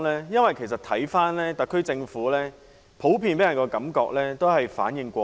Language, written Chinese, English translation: Cantonese, 因為看到特區政府普遍給人的感覺是反應過慢。, It is because the SAR Government gives a general impression that it is very slow in taking action